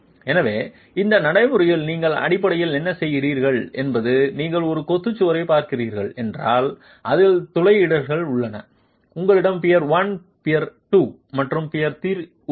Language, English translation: Tamil, So in this procedure what you are basically doing is if you are looking at a masonry wall which has perforations, you have peer one, peer two and peer three